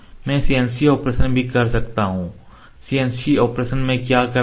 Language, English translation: Hindi, I can also use the CNC operation in CNC operation What we do